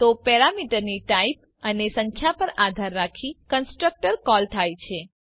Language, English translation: Gujarati, So depending on the type and number of parameter, the constructor is called